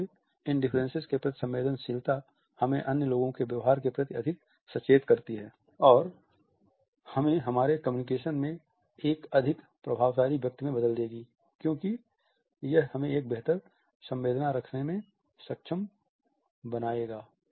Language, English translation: Hindi, So, this sensitivity to these differences would make us more observant of the behavior of other people and would turn us into a more effective person in our communication because it would enable us to have a better empathy